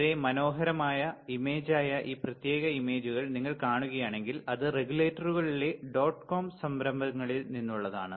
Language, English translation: Malayalam, If you see this particular images which is very nice image, it was from enterprises in the regulators dot com